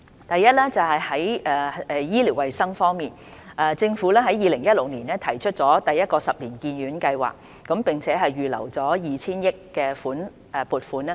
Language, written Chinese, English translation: Cantonese, 第一，在醫療衞生方面，政府在2016年提出第一個十年醫院發展計劃，並預留 2,000 億元的撥款。, Firstly as regards health care in 2016 the Government proposed the first 10 - year Hospital Development Plan and earmarked 200 billion for its implementation